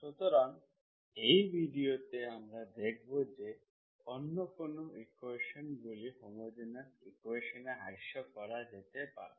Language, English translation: Bengali, So in this video we will see what other equations that can be reduced to homogeneous equations